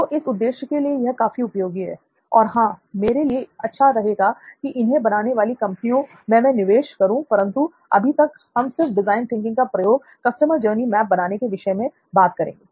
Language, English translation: Hindi, So it is pretty useful for that purpose; otherwise, yeah,good thing for me will be to invest in companies which are making this but for now we will stick to the uses of design thinking for this purpose of customer journey mapping, ok